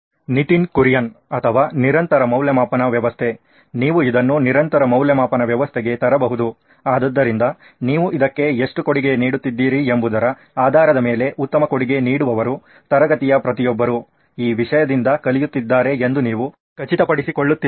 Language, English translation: Kannada, Or continuous evaluation system, you can bring this into the continuous evaluation system, so the best contributor are based on what how much you are contributing to this because you are essentially ensuring that everyone in class is learning out of this content